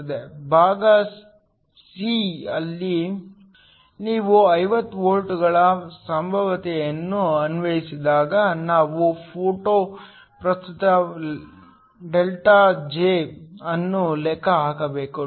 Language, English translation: Kannada, In part c, we need to calculate the photo current ΔJ when you apply a potential of 50 volts